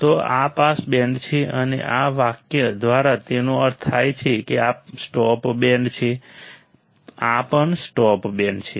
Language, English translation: Gujarati, So, this is a pass band, and this is the stop band, this is also stop band, this is what it means by this sentence